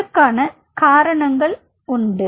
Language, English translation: Tamil, There are reasons for it